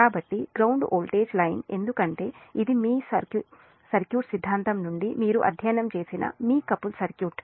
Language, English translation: Telugu, so the line to ground voltage, because this is a from your circuit theory, your couple circuit you have studied